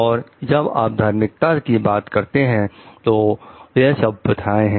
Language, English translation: Hindi, And when you talk of religiosity, it is the practices